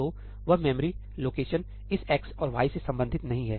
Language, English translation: Hindi, So, that memory location is not does not belong to this x and y anymore